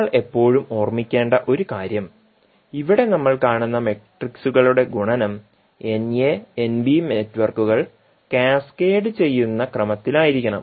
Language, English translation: Malayalam, One thing which we have to always keep in mind that multiplication of matrices that is we are seeing here must be in the order in which networks N a and N b are cascaded